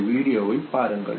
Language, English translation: Tamil, Look at this video